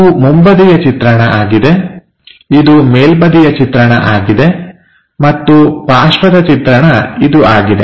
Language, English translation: Kannada, So, this is front view, this is top view, and side view is this